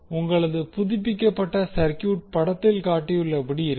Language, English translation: Tamil, You will get the updated circuit as shown in this figure